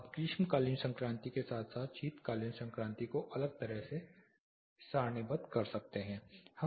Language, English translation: Hindi, You can tabulate summer solstice as well as winter solstice separately